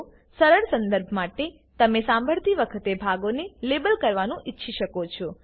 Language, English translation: Gujarati, You may want to label parts as you listen, for easy reference